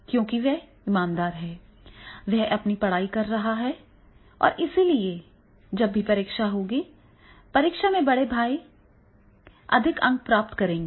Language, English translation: Hindi, Because he is sincere, he is keep on doing his studies and therefore whenever there will be examination, in examination the elder one will score the more marks